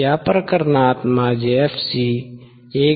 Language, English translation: Marathi, In this case my fc would be 1